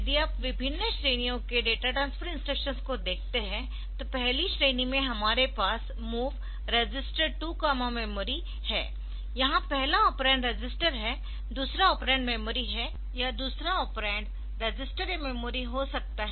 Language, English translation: Hindi, transfer instructions, in the first category we have got MOV register 2 memory or first operand is register, second operand is memory or first operand is second operand can be register or a memory